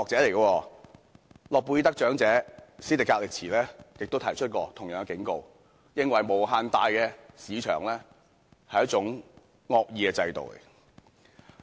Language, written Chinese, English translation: Cantonese, 諾貝爾得獎者史迪格利茲亦曾提出同樣的警告，認為無限大的市場是一種惡意的制度。, Nobel prize winner Joseph STIGLITZ has also sounded the same warning that an unfettered market is a malicious institution